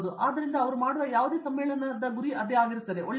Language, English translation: Kannada, So, that is one of the aim for any conference they do, yeah good